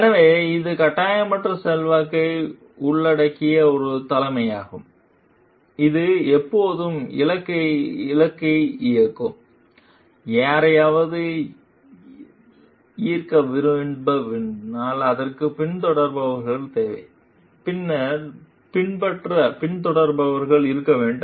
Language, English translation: Tamil, So, it is a leadership involves non coercive influence, it is always goal directed, it requires followers, if somebody has to like lead, then there must be followers to follow